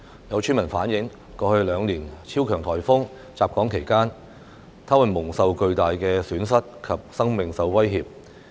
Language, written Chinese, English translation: Cantonese, 有村民反映，過去兩年超強颱風襲港期間，他們蒙受巨大損失及生命受威脅。, Some villagers have relayed that during the onslaught of super typhoons in Hong Kong in the past two years they suffered huge losses and their lives were under threat